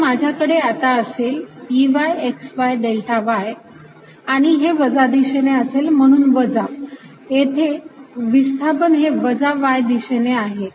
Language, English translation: Marathi, so i am going to have e, y, x, y, delta y, and that is in the negative direction, so minus, because now the displacement is the negative y direction, right